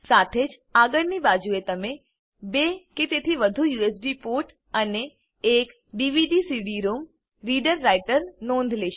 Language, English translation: Gujarati, Also, on the front side, you will notice 2 or more USB ports and a DVD/CD ROM reader writer